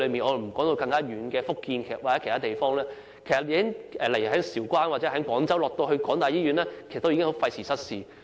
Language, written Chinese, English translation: Cantonese, 我暫且不提述偏遠的福建或其他地方，例如從韶關或廣州前往該所香港大學營運的醫院已廢時失事。, Even in the Bay Area Let me put aside some remote regions such as Futian and other places for the time being . It already takes a long time to travel from for example Shaoguan or Guangzhou to that hospital operated by HKU